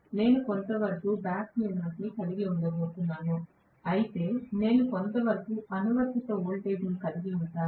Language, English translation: Telugu, You get my point if I am going to have the back EMF somewhat like this, whereas I am going to have the applied voltage somewhat like this